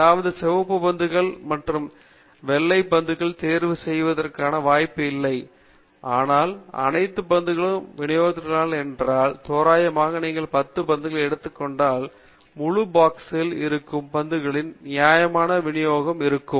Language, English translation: Tamil, That means the red balls and the white balls were not given a chance of being picked, but if you randomly distribute all the balls, and then you start picking from the box, if you take a sample of 10 balls, then you will get a reasonable distribution of the balls as they are in the entire box